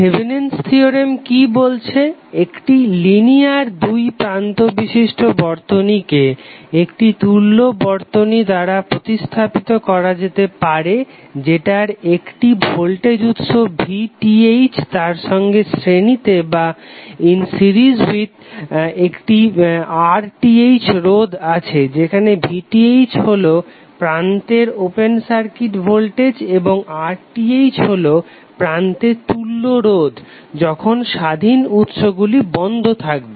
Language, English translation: Bengali, So what does Thevenin’s theorem says: A linear two terminal circuit can be replaced by an equivalent circuit consisting of a voltage source VTh In series with resistor RTh where VTh is the open circuit voltage at the terminals and RTh is the equivalent resistance at the terminals when the independent sources are turned off